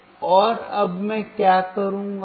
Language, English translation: Hindi, So, and now what I will do